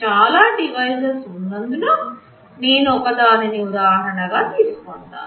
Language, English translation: Telugu, Because there are many devices, let me take an example again